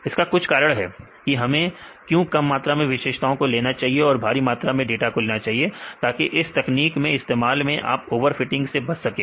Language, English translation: Hindi, So, there is a reason why we need to have the less number of features as well as more number of data; for doing any of this techniques to avoid over fitting